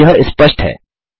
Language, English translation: Hindi, Even though this is obvious